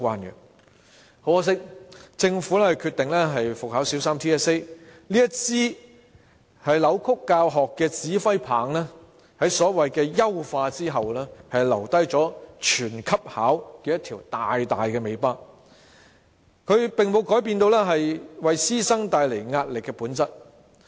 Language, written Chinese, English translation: Cantonese, 很可惜，政府決定復考小三 TSA， 這支扭曲教學的指揮棒在所謂優化後，留下"全級考"這條大大的尾巴，並沒有改變為師生帶來壓力的本質。, Regrettably the Government has decided to resume the Primary 3 TSA . After the so - called enhancement this baton which distorts education has left a big loose end of letting all students in the grade to sit for the assessment